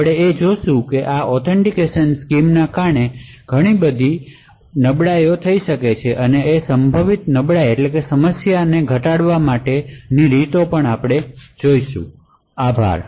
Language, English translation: Gujarati, We will also see how there are several weaknesses which can occur due to this authentication scheme and also ways to actually mitigate these potential problems, thank you